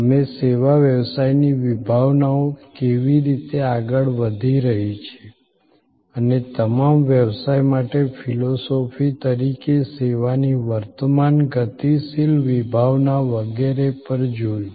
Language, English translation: Gujarati, We looked at how service business concepts are progressing and the current dynamic concept of service as a philosophy for all business and so on